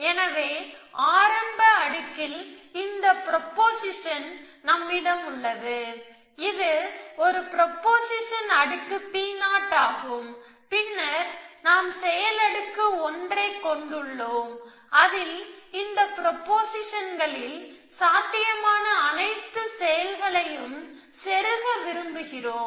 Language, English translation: Tamil, So, in the, in the initial layer, we have this proportion, so it is a proportion layer 0, P 0 then we have action layer 1 in which we want to insert all actions which are possible in this propositions